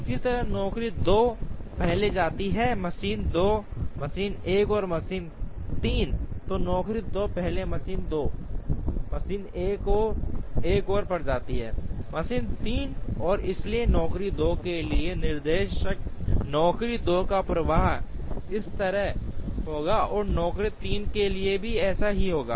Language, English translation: Hindi, So job 2 first goes to machine 2 machine 1 and machine 3, and therefore the directions for job 2, flow of job 2 will be like this, and similarly for job 3 it will be like this